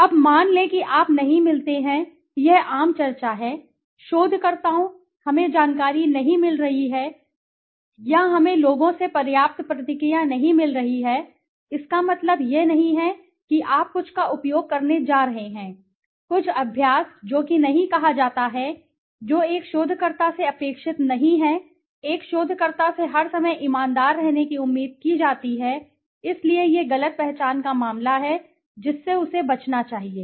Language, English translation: Hindi, Now suppose you do not get, that is the common you know discussion, researchers say sir, we are not getting information or we don't get enough responses from people, that does not mean that you are going to use something, some practice which is not called for, which is not expected from a researcher, a researcher is expected to be honest all the time so this is a case of misidentification one should avoid